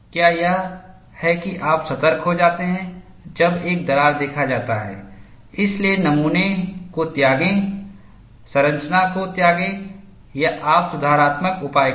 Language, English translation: Hindi, Is this, that you get alarmed a crack is seen, so discard the specimen, discard the structure or you do corrective measures